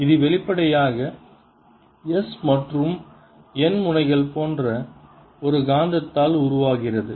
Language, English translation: Tamil, this obviously develops in such a magnet that s and n ends are like this